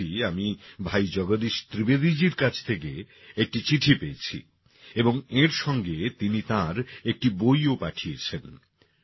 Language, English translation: Bengali, Recently I received a letter from Bhai Jagdish Trivedi ji and along with it he has also sent one of his books